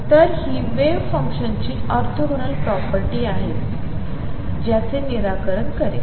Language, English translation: Marathi, So, this is the orthogonal property of wave function which is going to be satisfied